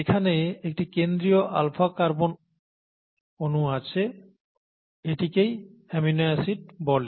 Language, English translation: Bengali, You have the central carbon atom here an alpha carbon atom